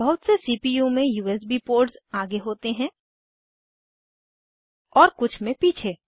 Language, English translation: Hindi, In most of the CPUs, there are some USB ports in the front and some at the back